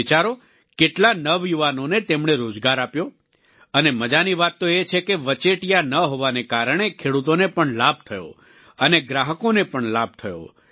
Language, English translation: Gujarati, You just think, how many youth did they employed, and the interesting fact is that, due to absence of middlemen, not only the farmer profited but the consumer also benefited